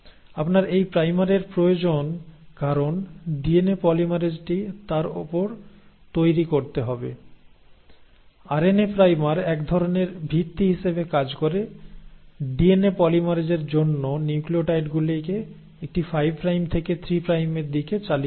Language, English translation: Bengali, You need this primer because DNA polymerase has to then build upon it, also RNA primer kind of acts as a foundation for this DNA polymerase to then keep on adding the nucleotides in a 5 prime to 3 prime direction